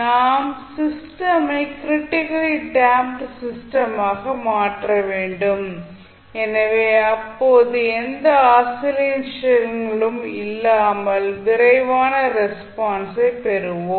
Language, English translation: Tamil, We have to make the system critically damped circuit, so in that case we will get the fastest response without any oscillations